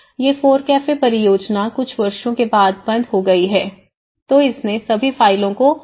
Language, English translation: Hindi, These FORECAFE the project is closed after a few years, then it completely closed all the files everything